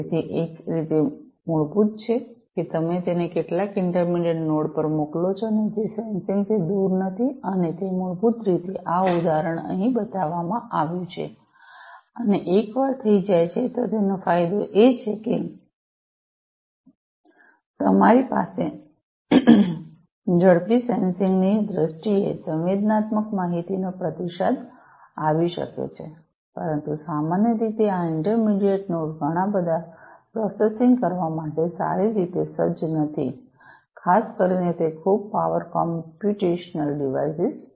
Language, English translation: Gujarati, So, one way is basically, that you send it to some intermediate node, and which is not far off from the point of sensing, and that basically is this example shown over here and once it is done the advantage is that you can have quicker response to the sensed data in terms of processing, but because not typically these intermediate nodes are not well equipped to do lot of processing, they are not very high power computational devices typically